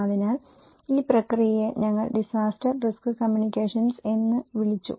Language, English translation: Malayalam, So, this process, we called disaster risk communications